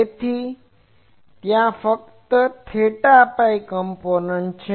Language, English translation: Gujarati, So, there are only theta phi component